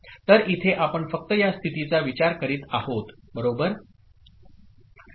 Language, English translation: Marathi, So here you are considering only the states, right